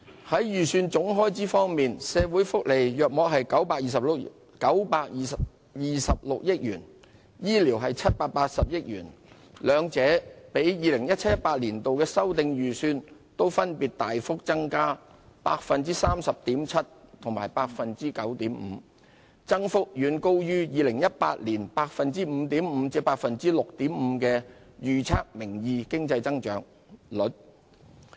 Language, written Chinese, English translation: Cantonese, 在預算總開支方面，社會福利約佔926億元，醫療則佔780億元，兩者分別都比 2017-2018 年度的修訂預算大幅增加 30.7% 及 9.5%， 增幅遠高於2018年 5.5% 至 6.5% 的名義經濟增長預測。, The estimated total expenditure on social welfare is about 92.6 billion and that on health care is 78 billion both of which have increased substantially from the revised estimates for 2017 - 2018 up 30.7 % and 9.5 % respectively much higher than the forecast nominal economic growth of 5.5 % to 6.5 % for 2018